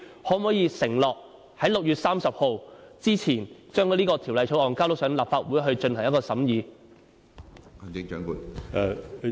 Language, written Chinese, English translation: Cantonese, 你可否承諾在6月30日前將有關法案提交立法會進行審議？, Can you undertake to introduce a relevant bill into the Legislative Council for scrutiny before 30 June?